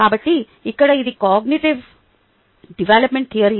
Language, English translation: Telugu, so here this is a theory of cognitive development